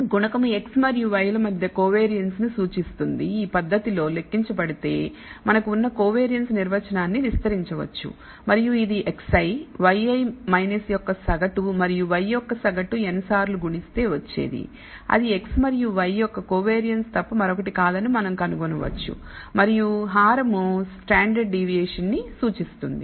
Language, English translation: Telugu, The numerator represents the covariance between x and y can also be computed in this manner we can expand that definition we have for the covariance and we can find that it is nothing but the product of x i y i minus n times the mean of x and the mean of y which represents the covariance of x and y and the denominator represents the standard deviation